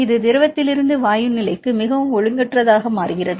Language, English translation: Tamil, It is very highly disordered from the liquid to gas state